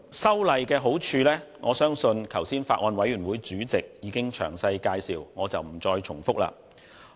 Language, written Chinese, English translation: Cantonese, 修例的好處，我相信剛才法案委員會主席已經詳細介紹，故此我不再重複。, I believe that the Bills Committee Chairman has already explained in detail the benefits of the Bill . Hence I am not going to repeat his points